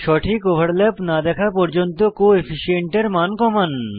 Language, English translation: Bengali, Reduce the Coefficient value till you see a proper overlap